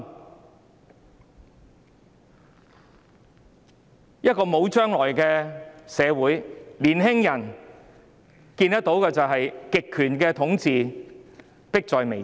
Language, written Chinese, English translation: Cantonese, 在一個沒有將來的社會，年輕人看見的是極權統治迫在眉睫。, In a society with no future what young people see is the imminence of authoritarian rule